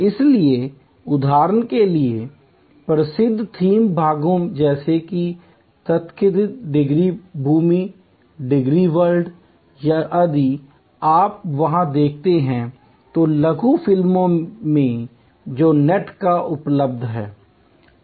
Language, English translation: Hindi, So, for example, famous theme parts like the so called Disney land, Disney world, if you see there, the short movies which are available on the net